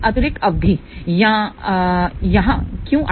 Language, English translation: Hindi, Why this additional term has come over here